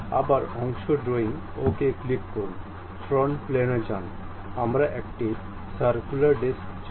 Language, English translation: Bengali, Again part drawing, click ok, go to frontal plane, we would like to have a circular disc